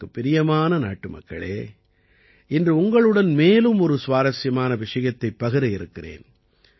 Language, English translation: Tamil, My dear countrymen, today I want to tell you one more interesting thing